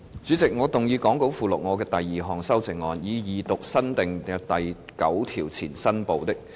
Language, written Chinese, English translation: Cantonese, 主席，我動議講稿附錄我的第二項修正案，以二讀新訂的第9條前新部的標題及新訂的第9條。, Chairman I move my second amendment to read the new Part heading before new clause 9 and new clause 9 the Second time as set out in the Appendix to the Script